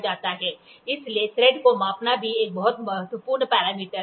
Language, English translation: Hindi, So, measuring threads is also a very important parameter